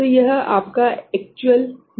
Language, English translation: Hindi, So, this is your actual gain point